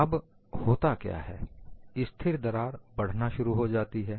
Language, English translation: Hindi, Now, what happens is, the stationary crack starts growing